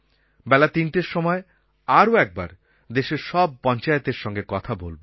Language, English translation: Bengali, At 3 in the afternoon I shall be talking to all panchayats of the country